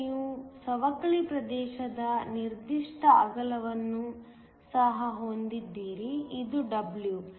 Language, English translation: Kannada, And you also have a certain width of the depletion region, so that this is w